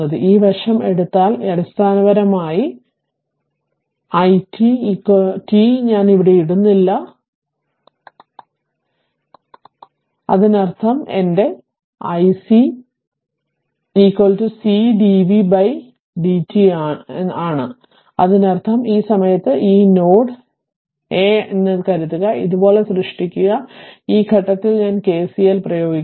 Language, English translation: Malayalam, And this side if we take this is your basically i 1 right is equal to minus of i t, t I am not putting here, if you want you can and this side you say i c right; that means, my i c is equal to c into d v by d t right; that means, at this point suppose this node is A, suppose you create like this and I apply KCL at this point